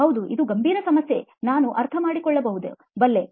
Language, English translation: Kannada, Yeah, it is a serious problem, I can understand